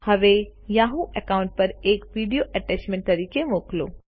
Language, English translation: Gujarati, Now, lets send a video as an attachment to the Yahoo account